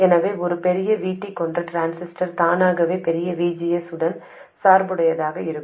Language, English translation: Tamil, So, a transistor with a larger VT will automatically get biased with a larger VGS